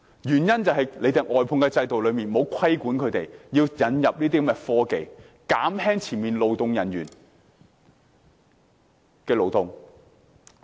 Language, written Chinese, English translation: Cantonese, 原因是外判制度沒有規定外判商須引入科技，減輕前線勞動人員的勞動。, It is because under the outsourcing system there is no requirement for contractors to introduce technology to alleviate the physical stress of frontline workers